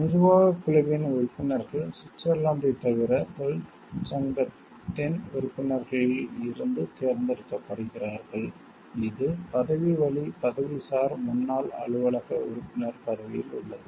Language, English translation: Tamil, The members of the executive committee are elected from among the members of the union except for Switzerland which is the member ex officio